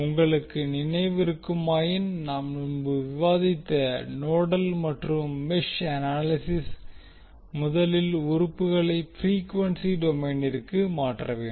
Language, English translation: Tamil, If you remember in case of the nodal n mesh analysis we discussed that first the elements need to be converted in frequency domain